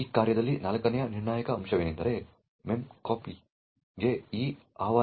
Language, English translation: Kannada, The fourth critical point in this function is this invocation to memcpy